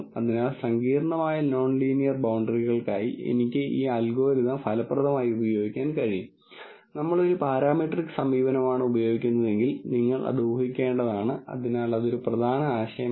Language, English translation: Malayalam, So, I can actually effectively use this algorithm for complicated non linear boundaries, which you would have to guess a priori if we were using a parametric approach, so that is a key idea here